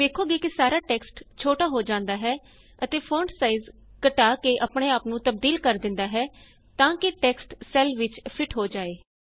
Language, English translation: Punjabi, You see that the entire text shrinks and adjusts itself by decreasing its font size so that the text fits into the cell referenced as B14